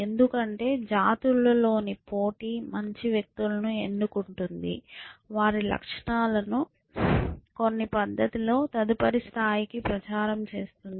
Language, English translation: Telugu, Because within, the competition within the species is selecting better and better individuals, which are propagating there propagates in some fashion to the next level essentially